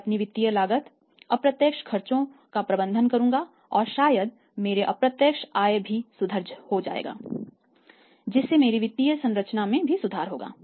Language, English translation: Hindi, I will manage my financial cost will manage my indirect expenses other indirect expenses also and probably my indirect incomes also improve so my financial structure will also improve